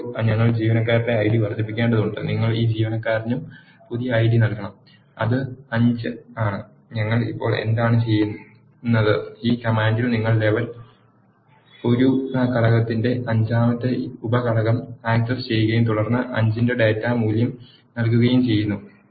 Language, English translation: Malayalam, Now, we need to also increase the employee ID and you have to give this employee and new ID which is 5, what we are doing now, in this command is your accessing the fifth sub element of the level one component and then assigning data value of 5